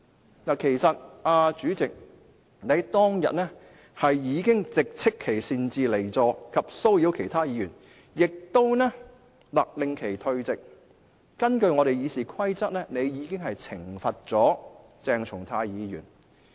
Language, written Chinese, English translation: Cantonese, 主席，其實你當日已直斥其擅自離席及騷擾其他議員，亦勒令其立即退席，並根據《議事規則》懲罰了鄭松泰議員。, President on that day you actually already reprimanded him for leaving his seat at will and disturbing other Members and you ordered him to withdraw immediately from the Council so you already punished Dr CHENG Chung - tai in accordance with RoP of this Council